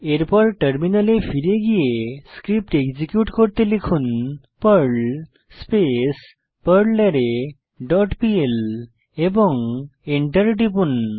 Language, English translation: Bengali, Then switch to terminal and execute the Perl script as perl perlArray dot pl and press Enter